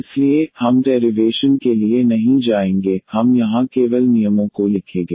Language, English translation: Hindi, So, we will not go for the derivation, we will just write down the rules here